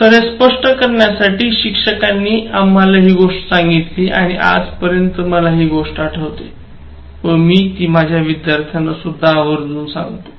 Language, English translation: Marathi, So, to illustrate this, the teacher told us this story and then till date I remember this, and I share it with my students